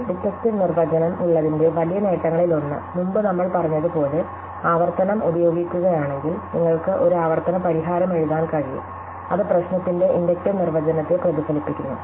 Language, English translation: Malayalam, And if we just use recursion as we said before one of the great benefits of having on inductive definition is that you can just write a recursive solution which just mirrors the inductive definition of the problem